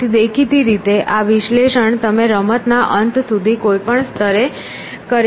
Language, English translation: Gujarati, So; obviously, this analysis you can do to any level till the end of the game in fact